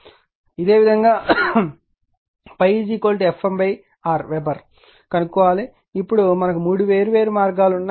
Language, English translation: Telugu, I will find out similarly phi is equal to F m by R Weber now we have to there are three different path